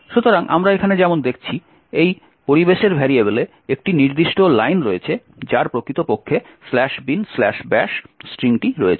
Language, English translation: Bengali, So, as we see over here there is one particular line in this environment variables which actually has the string slash bin slash bash